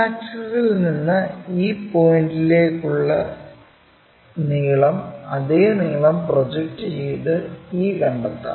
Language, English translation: Malayalam, The length from X axis to e point same length we will transfer it to locate it to e